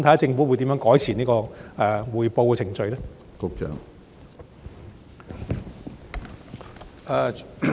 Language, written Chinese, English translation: Cantonese, 政府會如何改善匯報的程序呢？, How will the Government improve the reporting procedures?